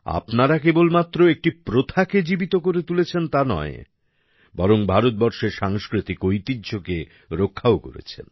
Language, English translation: Bengali, You are not only keeping alive a tradition, but are also protecting the cultural heritage of India